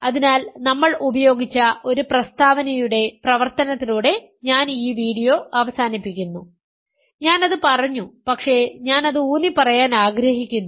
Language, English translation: Malayalam, So, I will end this video with an exercise of a statement that we have used, I have said it, but I want to emphasize it